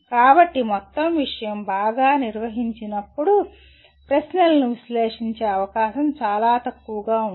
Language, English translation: Telugu, So when the whole subject is very well organized the scope for analyze questions will be lot less